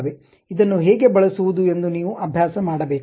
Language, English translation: Kannada, You have to practice how to use this